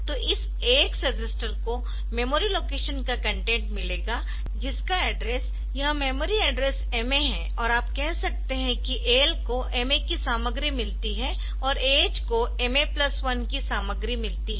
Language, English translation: Hindi, So, then this MA register sorry this AX register will get the content of memory location whose address is this memory address MA and or you can say that the AL gets the content of MA and MA h gets the content of MA plus 1